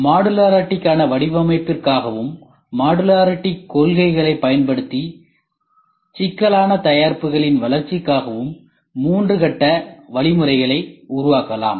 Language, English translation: Tamil, A three phase methodology can be devised for design for modularity, for the development of complex products using modularity concepts